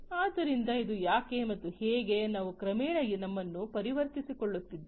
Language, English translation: Kannada, So, this is what and how we are gradually you know transforming ourselves